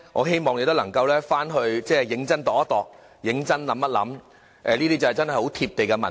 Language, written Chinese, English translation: Cantonese, 希望你能夠回去認真想想，這確是很貼地的民意。, I hope you can give a serious though about this . These are really down - to - earth views of the public